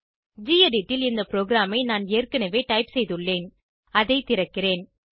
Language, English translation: Tamil, I have already typed this program in the gedit editor, let me open it